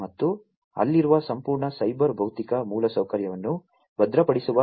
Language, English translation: Kannada, And there is need for securing the entire cyber physical infrastructure that is there